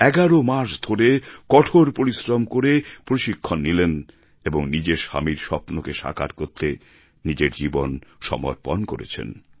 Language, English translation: Bengali, She received training for 11 months putting in great efforts and she put her life at stake to fulfill her husband's dreams